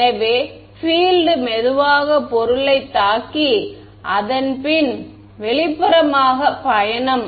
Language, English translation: Tamil, So, the field is slowly hit the object and then its travelling outwards